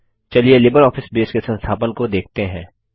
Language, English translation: Hindi, What can you do with LibreOffice Base